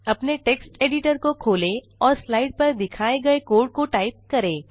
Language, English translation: Hindi, Open your text editor and type the following code shown on the slide